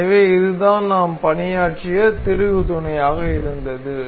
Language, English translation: Tamil, So, this was the screw mate that we have worked